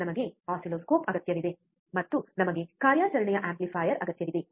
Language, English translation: Kannada, We need oscilloscope, and we need a operational amplifier